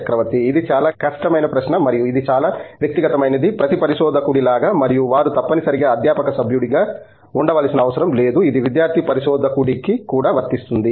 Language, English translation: Telugu, This is a very difficult question and this is sort of highly personnel, as in every researcher and this doesn’t have to be a necessarily a faculty member, it also portents to a student researcher